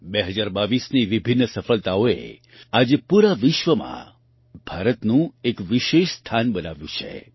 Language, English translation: Gujarati, The various successes of 2022, today, have created a special place for India all over the world